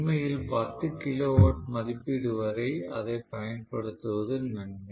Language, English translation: Tamil, In fact, even for 10 kilowatt rating maybe until 10 kilowatt rating it is okay to use it